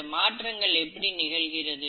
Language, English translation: Tamil, So how are these variations caused